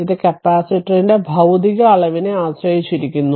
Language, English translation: Malayalam, So, it depends on the physical dimension of the capacitor